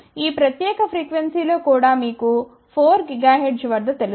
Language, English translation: Telugu, Even at this particular frequency you know at 4 gigahertz